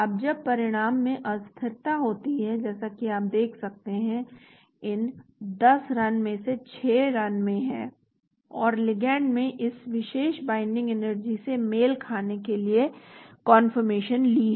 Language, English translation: Hindi, Now when results are fluctuated and as you can see – out of that 10 runs 6 runs and the ligand took confirmation to match this particular binding energy,